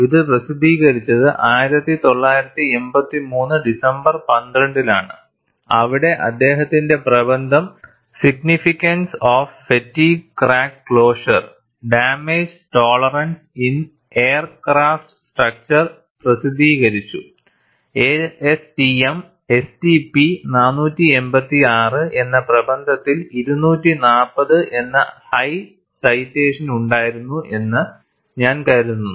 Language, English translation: Malayalam, This says, this weeks citation classic, it was published in December 12, 1983, where his paper on the significance of fatigue crack closure damage tolerance in aircraft structures, published as A S T M S T P 486, had a very high citation of 240, I think